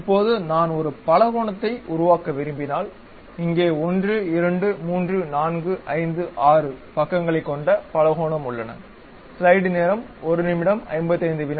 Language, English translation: Tamil, Now, if I would like to construct a polygon for example, here polygon having 1 2 3 4 5 6 sides are there